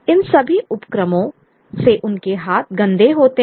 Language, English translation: Hindi, All these ventures lead to dirty of their hands